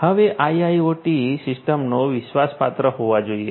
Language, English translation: Gujarati, Now, IIoT systems must be trustworthy